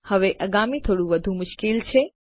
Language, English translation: Gujarati, Now the next ones a bit more tricky